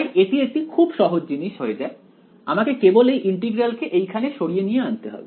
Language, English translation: Bengali, So, turns out to be a very simple thing to do I just have to move the integral over here right